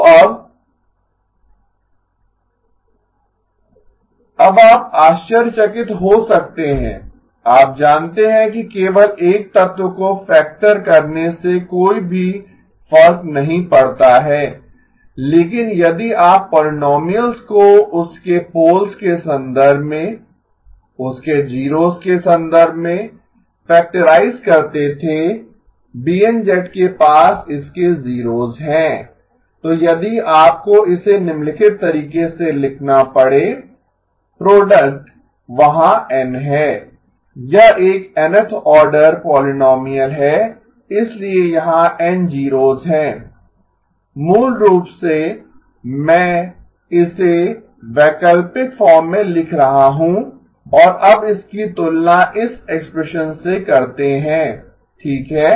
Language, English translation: Hindi, Now you may wonder, you know just factoring one element out does not make any difference at all but if you were to factorize the polynomial in terms of its poles in terms of its zeros B of z has its zeroes then if you had to write it down in the following way, product there are N, it is an Nth order polynomial so there are N zeroes, i equal to 1 through N 1 minus zi z inverse